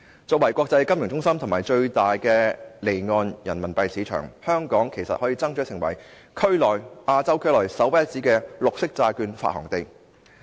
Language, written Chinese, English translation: Cantonese, 作為國際金融中心及最大的離岸人民幣市場，香港其實可爭取成為亞洲區內首屈一指的綠色債券發行地。, As an international financial centre and the largest offshore Renminbi market Hong Kong can in fact strive to become a leading city in Asia for the issuance of green bonds